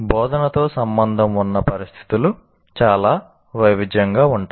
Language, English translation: Telugu, The first thing is situations associated with instruction are very varied